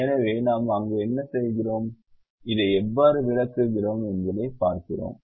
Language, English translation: Tamil, so we see what we do there and how we explain